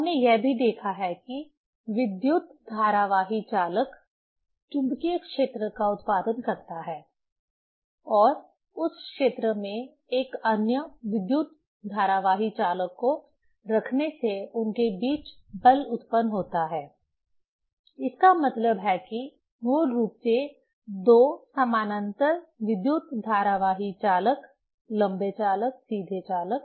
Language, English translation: Hindi, We have also seen that the current carrying conductor produced magnetic field, and placing another current carrying conductor in that field generate force between them; that means, basically two parallel current carrying conductors, long conductors, straight conductors